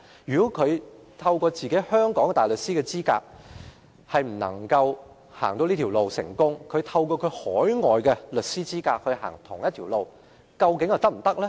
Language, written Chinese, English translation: Cantonese, 因此，如果本地大律師未能成功循這條路轉業，那麼海外律師走相同的路又會否成功？, Therefore if local barristers fail to become solicitors via this path can overseas lawyers succeed by taking the same path?